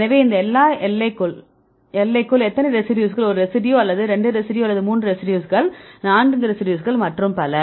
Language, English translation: Tamil, So, how many residues which are within this limit one residue or 2 residue 3 residues, four residues so on